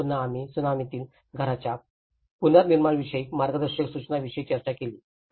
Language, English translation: Marathi, And again, we did discussed about the guidelines for reconstruction of houses in tsunami